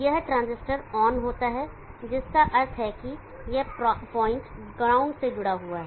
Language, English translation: Hindi, This transistor turns on which means this point gets connected to ground